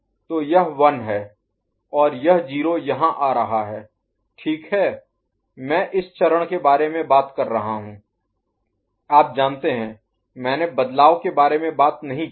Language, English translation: Hindi, So, this is 1 and this 0 is coming over here right I am talking about this stage, I have not talked about you know, changes ok